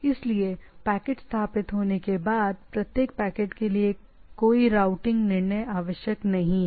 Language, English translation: Hindi, So, no routing decision required for each packet once the packet is established, right